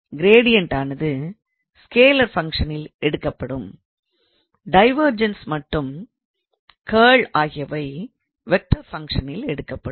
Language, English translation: Tamil, So, by the way gradient is taken on a scalar function and the divergence and curl will be taken or is taken on a vector function